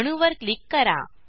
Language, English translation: Marathi, Click on the atom